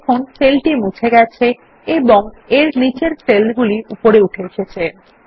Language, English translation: Bengali, You see that the cell gets deleted and the cells below it shifts up